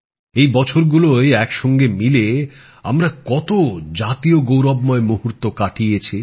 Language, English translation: Bengali, Together, we have experienced many moments of national pride in these years